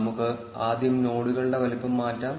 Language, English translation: Malayalam, Let us first change the size of the nodes